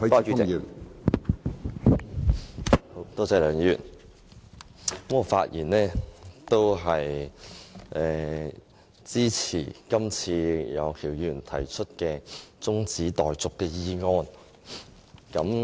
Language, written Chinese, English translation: Cantonese, 梁議員，我發言支持楊岳橋議員提出的中止待續議案。, Mr LEUNG I rise to speak in support of the adjournment motion moved by Mr Alvin YEUNG